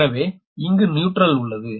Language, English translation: Tamil, so here it neutral, here it is neutral, right